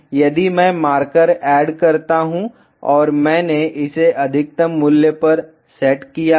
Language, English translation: Hindi, If I add marker and I set it to maximum value